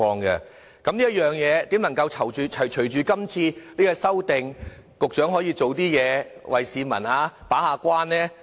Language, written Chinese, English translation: Cantonese, 就這一點，如何隨着今次這項修訂，局長可以做點工作為市民把關？, In this respect what the Secretary can do to take advantage of the amendment exercise to live up to his gate - keeping role?